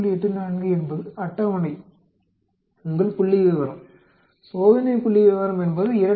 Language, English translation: Tamil, 84 is a table, your statistic test statistics is 2